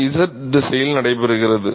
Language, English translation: Tamil, it takes place in the z direction